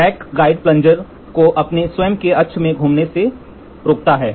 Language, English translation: Hindi, The rack guides prevents the rotation of the plunger about its own axis